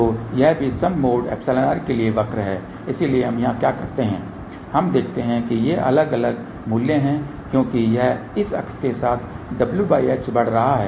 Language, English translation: Hindi, So, this is the curve for even mode epsilon e , so what we have here let us see these are the different values along this it is w by h is increasing along this axes